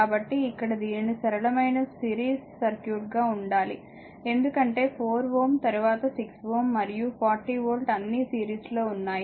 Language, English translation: Telugu, So, question is that here we have to be current is simple series circuit, because 4 ohm, then 6 ohm, then 40 volt all are ah in series